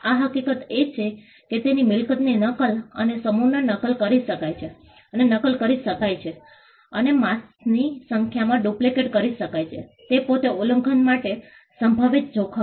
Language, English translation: Gujarati, The fact that his property can be copied and duplicated in mass can be copied and duplicated in mass numbers is itself a potential threat for infringement